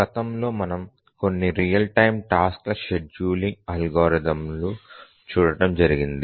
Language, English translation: Telugu, If you recollect over the last few lectures, we were looking at some real time task scheduling algorithms